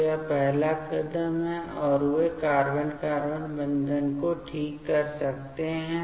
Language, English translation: Hindi, So, this is the first step, and they can make carbon carbon bond formation ok